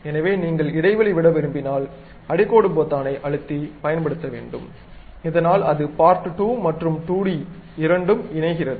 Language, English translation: Tamil, So, if you want to really specify some space has to be given use underscore button, so that that joins both the part2 and 2d thing